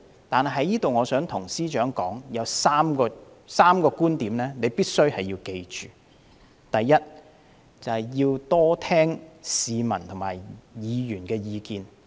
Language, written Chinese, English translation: Cantonese, 我在這裏想向司長說，有3點必須緊記：第一，要多聆聽市民和議員的意見。, I would like to tell the Financial Secretary to remember three points first listen more to the opinions of the public and Members